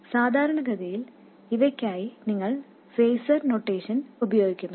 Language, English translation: Malayalam, And typically you use phaser notations for these